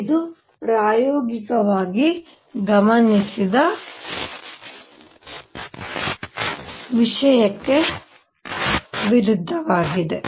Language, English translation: Kannada, This is contradiction to what was observed experimentally